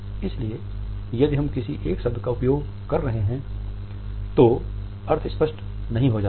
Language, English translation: Hindi, So, if we are using a single word the meaning does not become clear